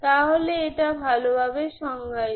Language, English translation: Bengali, So this is well defined